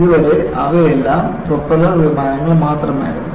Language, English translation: Malayalam, Until then, they were all only propeller planes